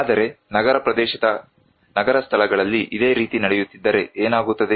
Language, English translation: Kannada, But if this same thing is happening in an urban place in a city area what happens